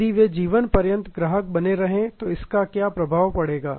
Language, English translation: Hindi, What impact would it have if they remained customers for life